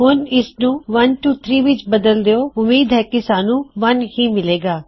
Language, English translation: Punjabi, Changing this to 123, will hopefully give us 1